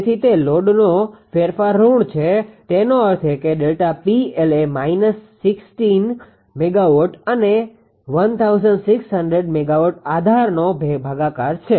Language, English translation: Gujarati, So, it load change is negative; that means, delta P L is minus 16 megawatt divided by the 1600 MVA base